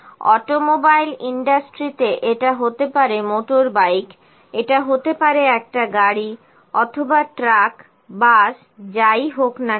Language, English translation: Bengali, This automobile industry just put automobile, it can be motorbike, it can be a car, or truck, bus whatever it is